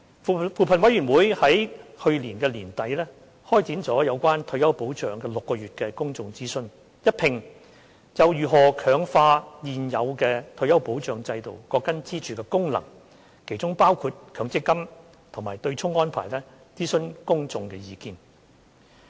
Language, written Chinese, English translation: Cantonese, 扶貧委員會於去年年底開展了有關退休保障的6個月公眾諮詢，一併就如何強化現有退休保障制度各根支柱的功能，其中包括強積金及對沖安排，諮詢公眾的意見。, Towards the end of last year the Commission on Poverty CoP launched a six - month public consultation on retirement protection to canvass views from the public on how the functions of each of the pillars under the existing retirement protection system can be strengthened including the MPS System and the offsetting arrangement